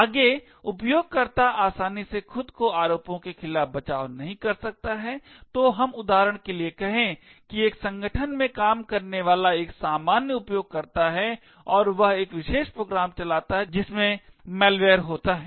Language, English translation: Hindi, Further user cannot easily defend himself against allegations, so let us say for example that a normal user working in an organisation and he happens to run a particular program which has a malware